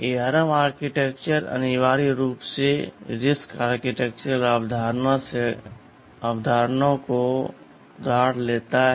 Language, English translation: Hindi, So, ARM architecture essentially borrows the concepts from the RISC idea, from the RISC architectural concept ok